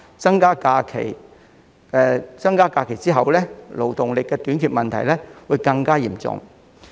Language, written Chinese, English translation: Cantonese, 在增加假期後，勞動力短缺的問題將會惡化。, The problem of labour shortage will worsen after an increase in the number of holidays